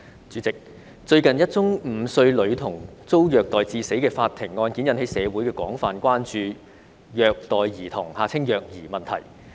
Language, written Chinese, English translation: Cantonese, 主席，最近，一宗5歲女童遭虐待致死的法庭案件引起社會廣泛關注虐待兒童問題。, President recently a court case in which a five - year - old girl died of being abused has aroused wide public concern about the issue of child abuse